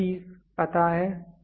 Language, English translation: Hindi, Work piece is known